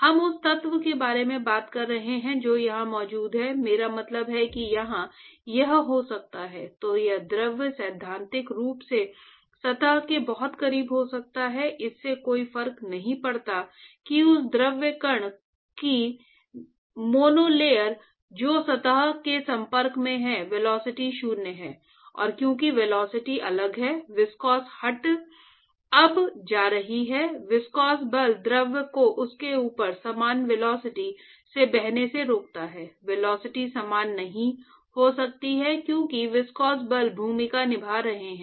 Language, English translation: Hindi, So, so we are talking about the element which is present here, I mean it could be here this element could in principle be very close to surface it does not matter only that monolayer of that fluid particle which is in touch with the surface has zero velocity, and because the velocity is different the viscosity is now going to; viscous forces are going to retard the fluid from flowing in the same velocity above it the velocity cannot be the same because the viscous forces are playing a role